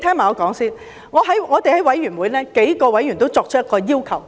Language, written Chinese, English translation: Cantonese, 我們在法案委員會，數位委員都提出一個要求。, At the Bills Committee several members have made a request